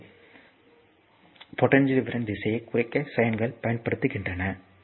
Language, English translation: Tamil, So, sines are used to represent reference direction of voltage polarity